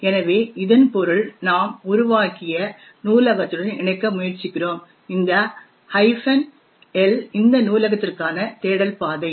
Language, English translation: Tamil, So, this means that we are trying to link to the library that we have created, this minus capital L is the search path for this particular library